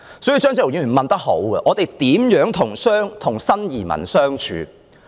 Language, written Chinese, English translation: Cantonese, 所以，張超雄議員問得好：我們如何與新移民相處？, Hence Dr Fernando CHEUNG has asked a good question How to get along with new immigrants?